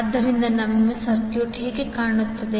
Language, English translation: Kannada, So, how our circuit will look like